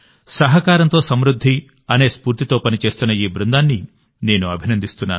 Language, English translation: Telugu, I appreciate this team working with the spirit of 'prosperity through cooperation'